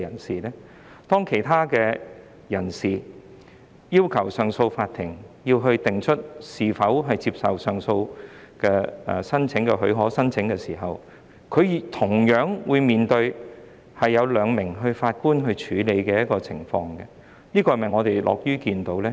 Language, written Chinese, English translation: Cantonese, 舉例來說，當有人向上訴法庭提出上訴許可申請時，他們同樣會由兩名法官處理其申請，這又是否我們樂於看到的呢？, For example when members of the public apply for leave to appeal to CA their applications will also be handled by two judges . Is this what we would like to see?